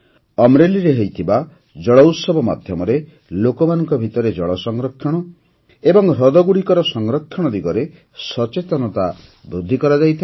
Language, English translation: Odia, During the 'JalUtsav' held in Amreli, there were efforts to enhance awareness among the people on 'water conservation' and conservation of lakes